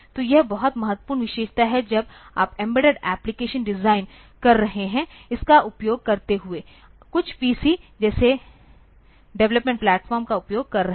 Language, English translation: Hindi, So, this is very important feature when you are designing embedded application, using this, using some development platform like some PC